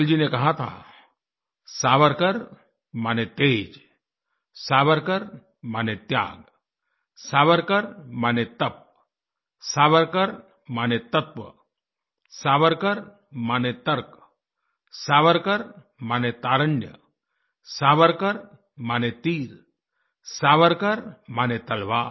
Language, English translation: Hindi, Atal ji had said Savarkar means brilliance, Savarkar means sacrifice, Savarkar means penance, Savarkar means substance, Savarkar means logic, Savarkar means youth, Savarkar means an arrow, and Savarkar means a Sword